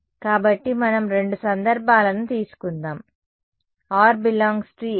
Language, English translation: Telugu, So, let us take two cases r belongs to A and r belongs to B ok